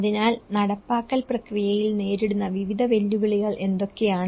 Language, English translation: Malayalam, So, what are the various challenges that is faced in the implementation process